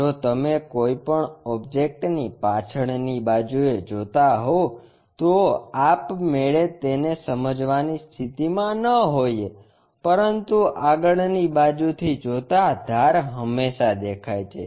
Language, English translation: Gujarati, If, you are picking any object backside we might not be in a position to sense it, but front side the edges are always be visible